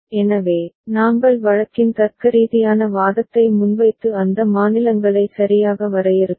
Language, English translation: Tamil, So, we made a logical argument of the case and defined those states right